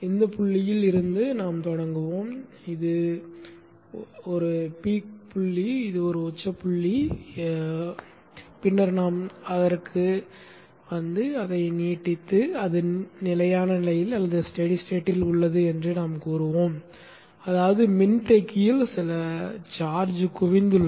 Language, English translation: Tamil, Let us start from this point, this peak point as a reference and then we will come back to it and extend it and let us say it is in a steady state which means that there is some charge accumulated in the capacitance